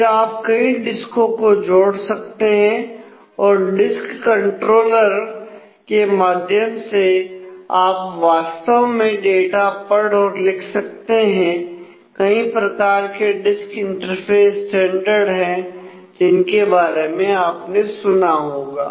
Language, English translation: Hindi, Then you can connect multiple disk and through a disk controller you can actually read write data on to them and there are different such disk interface standards that you may have heard of